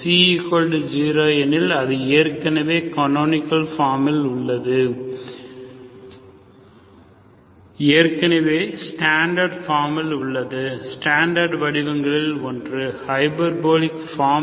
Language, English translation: Tamil, If C is also zero, that means it is already in the canonical form, already in the standard form, one of the standard forms, hyperbolic form, okay